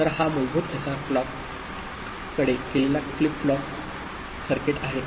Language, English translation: Marathi, So, this is the basic SR clocked flip flop circuit